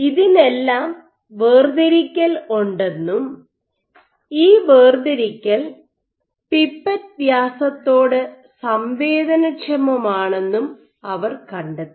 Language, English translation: Malayalam, For all this they find that there is segregation and this segregation is sensitive to pipette diameter